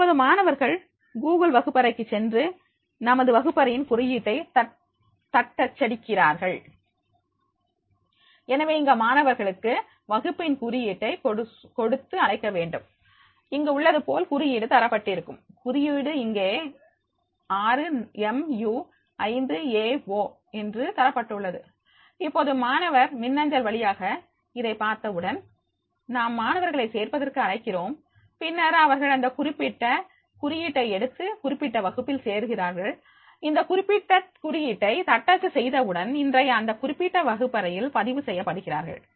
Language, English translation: Tamil, Now students can go to the Google classroom and type in the code for our classroom, so therefore here invite the students to give them the class code, like her if you find that is code has been given, the code has been given 6rnu5aO, now as soon as the student through via email, we invite the students to join, and then they get this particular code to join this particular class, when they type this particular code, they will be entered into that particular, registered, in today particular classroom